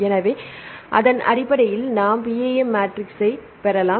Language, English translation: Tamil, So, based on that we can derive PAM matrix